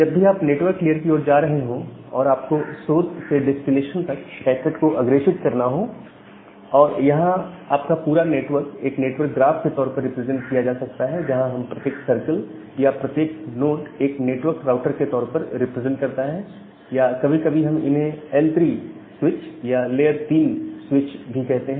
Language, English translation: Hindi, Now whenever you are going to the network layer and you need to forward a packet from the source to the destination and your entire network can be represented as a network graph, where each of these circles or each of these nodes represent a network router or sometime we call them as L3 switches or the layer 3 switch